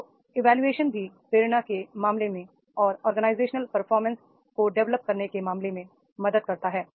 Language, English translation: Hindi, So appraisal also helps in case of the motivation and to develop the organizational performance